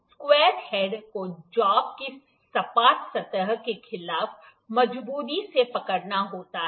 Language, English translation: Hindi, The square head has to be firmly held against the flat surface of the job